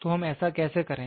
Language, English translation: Hindi, So, how do we do it